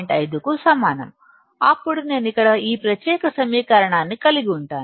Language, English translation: Telugu, 5 equals to this value then, I will have here this particular equation